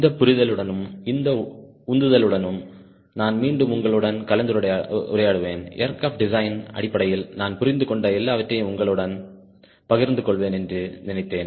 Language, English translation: Tamil, with that understanding, with that motivation, i thought i will again interact with you and share with you whatever i understand in terms of aircraft design